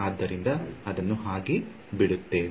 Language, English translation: Kannada, So, that is what we will leave in